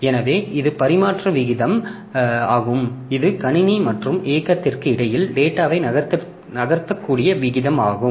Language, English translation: Tamil, So, that is the transfer rate, the rate at which the data can move between the computer and the drive